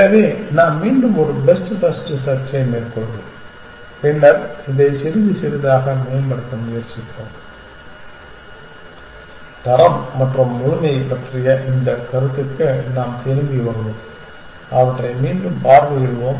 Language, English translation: Tamil, So, we will take a best first search again and then we will try to improve upon this a little bit we will come back to this notion of quality and completeness and revisit them